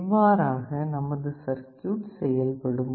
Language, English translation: Tamil, This is how this circuit looks like